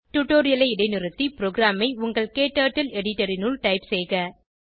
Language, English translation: Tamil, Please pause the tutorial here and type the program into your KTurtle editor